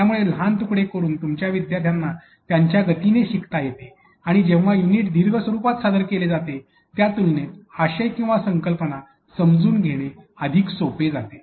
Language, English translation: Marathi, So, breaking into smaller pieces allows your student people to learn at his own pace, but understanding the content or the concept much more easier compared to when the unit was presented in a long form or long lesson